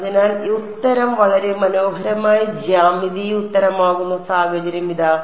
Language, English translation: Malayalam, So, again here is the situation where the answer is a very beautiful geometric answer